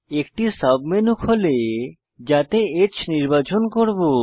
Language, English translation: Bengali, A submenu opens in which we will select H